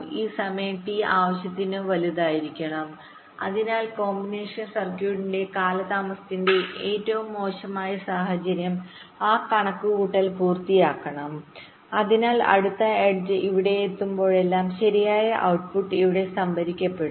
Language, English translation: Malayalam, after that this clock comes, and this time t should be large enough so that whatever is the worst case of the delay of the combination circuit, that computation should be complete so that whenever the next edge comes here, the correct output should get stored here